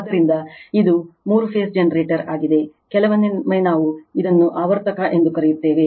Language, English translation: Kannada, So, this is a three phase generator, sometimes we call it is your what we call it is alternator